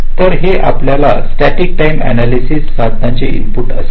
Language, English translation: Marathi, so this will be the input of your static timing analysis tool